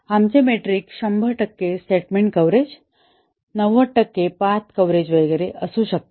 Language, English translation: Marathi, May be our metric is 100 percent statement coverage, 90 percent path coverage and so on